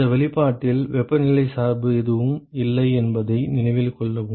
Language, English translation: Tamil, Remember that, note that there is no temperature dependence in this expression at all